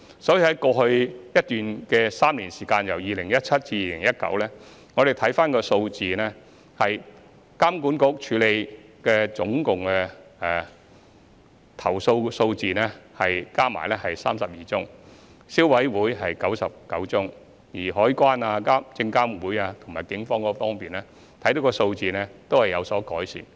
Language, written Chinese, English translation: Cantonese, 在過去3年，即由2017年至2019年，我們可以看到相關的投訴數字有所改善，監管局處理的共有32宗，消費者委員會有99宗，至於海關、證監會及警方的數字亦有改善。, from 2017 to 2019 we can see some improvement in the number of complaints received . EAA handled a total 32 cases; the Consumer Council received 99 cases; and there is also improvement in the figures of CED SFC and the Police . We understand the concerns of Members